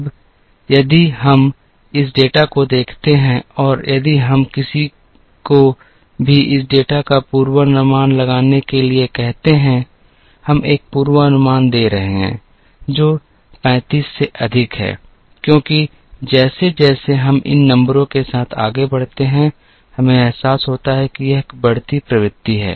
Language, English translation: Hindi, Now, if we look at this data and if we ask anyone to forecast this data, we will end up giving a forecast, which is greater than 35, because as we move along these numbers, we realise that there is an increasing trend